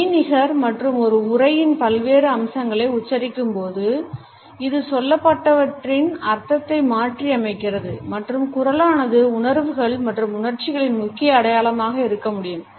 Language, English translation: Tamil, And by accenting different aspects of an utterance it modifies the meaning of what is said and can be a major indication of feelings etcetera